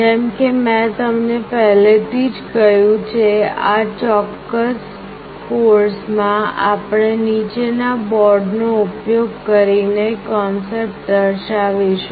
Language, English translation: Gujarati, As I have already told you, in this particular course we shall be demonstrating the concepts using the following boards